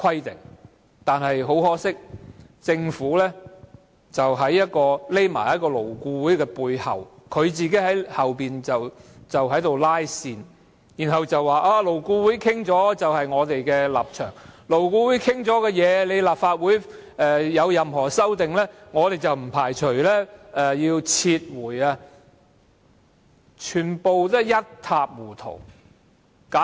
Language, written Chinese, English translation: Cantonese, 但是，很可惜，政府躲在勞顧會背後"拉線"，然後說勞顧會達成的共識便是政府的立場，如果立法會對勞顧會已達成共識的方案有任何修訂，政府便不排除撤回《條例草案》。, But regrettably the Government has been pulling the thread behind LAB and said that the consensus of LAB reflects the position of the Government . If the Legislative Council makes any amendment to the agreed proposal submitted by LAB the Government does not rule out the possibility of withdrawing the Bill